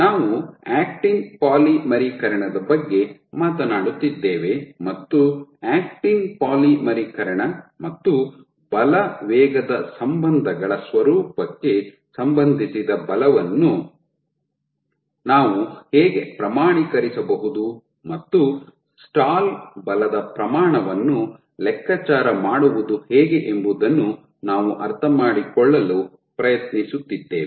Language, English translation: Kannada, So, we are talking about actin polymerization and we trying to understand how can we quantify the forces associated with actin polymerization and the nature of force velocity relationships, and the calculating the magnitude of stall force